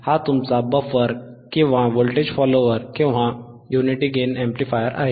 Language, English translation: Marathi, This is your buffer right buffer or, voltage follower or, unity gain amplifier